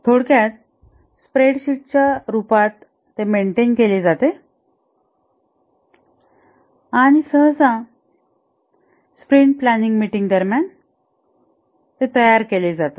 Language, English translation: Marathi, It typically maintains it in the form of a spread set and usually created during the sprint planning meeting